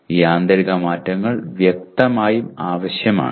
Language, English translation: Malayalam, These internal changes are obviously necessary